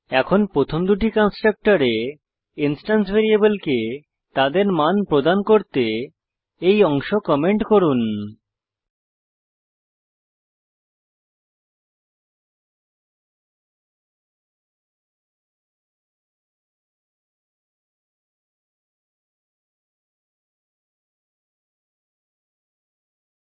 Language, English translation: Bengali, Now comment the part to assign the instance variables to their values in the first two constructors